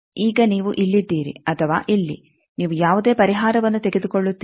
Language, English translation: Kannada, Now, you are either here or here you take any solution